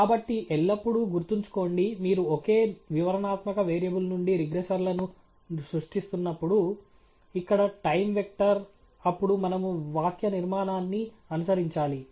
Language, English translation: Telugu, So, always remember, when you are creating regressors out of a single explanatory variable here the time vector then we should follow the syntax